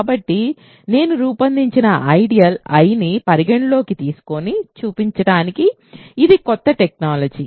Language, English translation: Telugu, So, to show that consider the ideal I generated by, this is new terminology